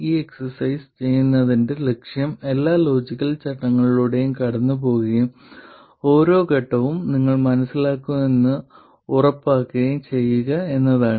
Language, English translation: Malayalam, The point of doing this exercise is to go through all the logical steps and make sure that you understand every step